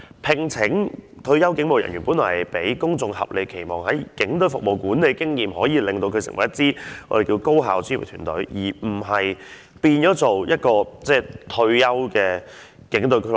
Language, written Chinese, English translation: Cantonese, 聘請退休警務人員，本來是要令公眾有合理期望，基於他們曾在警隊服務及有管理經驗，可以令這組別成為一支高效專業的團隊，而不是變成一個退休警員的俱樂部。, The employment of retired police officers is basically to meet the reasonable expectations of the public that these officers based on their previous police services background and management experience can turn the Office into an effective and professional team instead of a retired police officers club